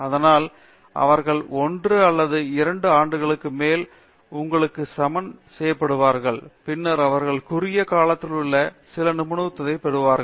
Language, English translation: Tamil, So that they will be equalized to you over 1 or 2 years and then they will also be earning some expertise in their narrow down area